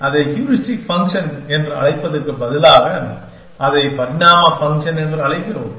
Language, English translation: Tamil, So, instead of calling it heuristic function, we call it evolve function